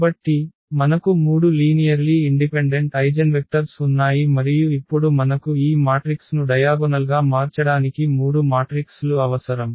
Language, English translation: Telugu, So, we have 3 linearly independent linearly independent eigenvector and that is the reason now we can actually diagonalize this matrix because we need 3 matrices